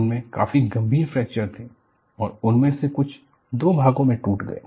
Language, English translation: Hindi, They had serious fractures and some of them broke into 2